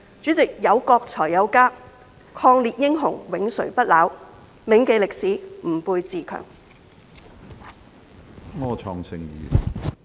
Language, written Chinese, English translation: Cantonese, 主席，有國才有家，抗日英雄永垂不朽，銘記歷史，吾輩自強。, Eternal glory to the heroes of the war of resistance! . Let us remember the history and strengthen ourselves